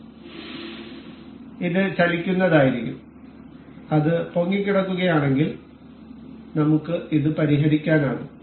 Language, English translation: Malayalam, So, it will also be moving and in case if it is floating we can fix this